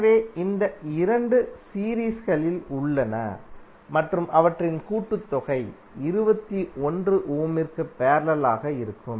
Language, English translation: Tamil, So these 2 are in series and their summation would be in parallel with 21 ohm